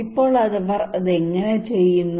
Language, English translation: Malayalam, Now how they do it